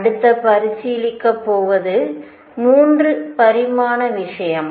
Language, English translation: Tamil, Next going to consider is 3 dimensional case